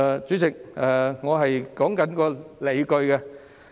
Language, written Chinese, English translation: Cantonese, 主席，我正在說明理據。, Chairman I am expounding on my justifications